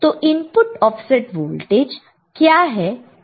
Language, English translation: Hindi, Now, we already have seen what is input offset current